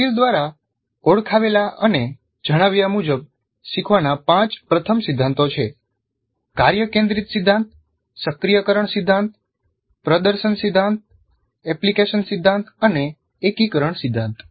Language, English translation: Gujarati, So the five first principles of learning as identified and stated by Merrill, task centered principle, activation principle, demonstration principle, application principle, integration principle, integration principle